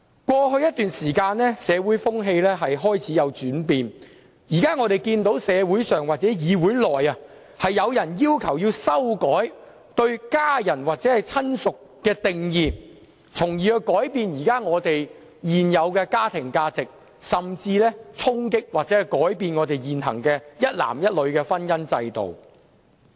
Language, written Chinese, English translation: Cantonese, 過去一段時間，社會風氣開始轉變，我們現時看見社會上或議會內均有人要求修改對家人或親屬的定義，從而改變現有的家庭價值，甚至是衝擊或改變現行一男一女的婚姻制度。, Over the past period social values have started to change . Now in society and the legislature we see that people are pressing for amendment of the definition of family members or relatives with a view to changing the existing family values and even challenging or altering the existing institution of marriage of one man and one woman